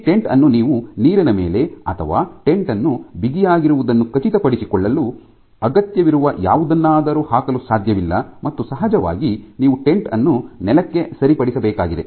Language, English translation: Kannada, So, you cannot put this tent on water or something where this tension required for making sure the tent is taut cannot be sustained and of course, you need to fix the tent to the ground